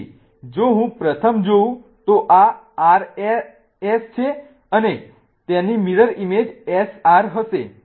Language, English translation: Gujarati, So, if I look at the first one this is R S and its mirror image is going to be SR